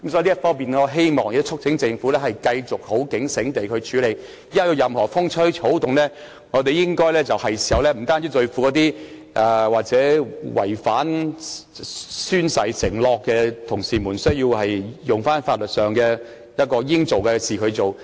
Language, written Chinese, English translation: Cantonese, 因此，我促請政府繼續警醒地處理這方面的事宜，有任何風吹草動，我們就要像對付那些違反宣誓承諾的同事那樣，應該採取法律行動時，就要馬上這樣做。, Hence I urge the Government to stay vigilant in dealing with this matter . Once there is any sign of any problem we should immediately take legal action when it is the right thing to do like the way we deal with those Honourable colleagues who violated the oath - taking requirements